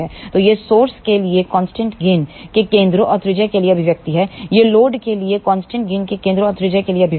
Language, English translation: Hindi, So, these are the expressions for centre and radius of constant gain for source, these are the expressions for centre and radius of constant gain circle for load